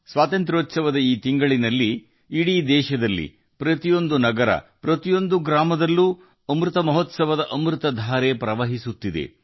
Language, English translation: Kannada, In this month of independence, in our entire country, in every city, every village, the nectar of Amrit Mahotsav is flowing